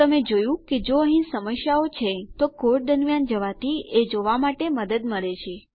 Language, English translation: Gujarati, So you see, going through your code helps to see if there are problems